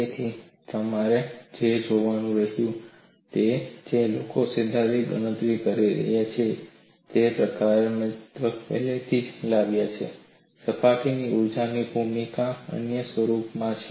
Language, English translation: Gujarati, So, what you will have to look at is, people who are making theoretical calculation have already brought in, the role of surface energy in some other form